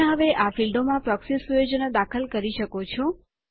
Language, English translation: Gujarati, You can now enter the the proxy settings in these fields